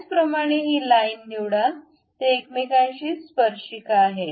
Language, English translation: Marathi, Similarly, pick this line this line they are tangent with each other